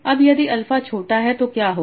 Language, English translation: Hindi, So now if alpha is small, what will happen